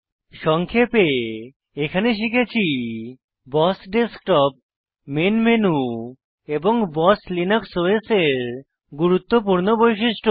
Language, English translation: Bengali, In this tutorial we learnt about the BOSS Desktop, the main menu and many important features of BOSS Linux OS